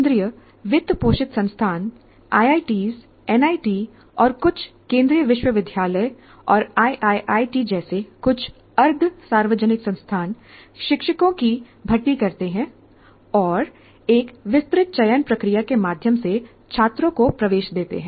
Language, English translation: Hindi, Now, centrally funded institutions, IITs, NITs, and some central universities and a small number of semi public institutions like triple ITs, recruit faculty and admit students through elaborate selection process